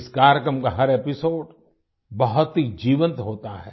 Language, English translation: Hindi, Every episode of this program is full of life